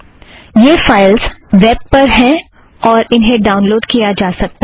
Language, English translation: Hindi, These files are on the web and one can download them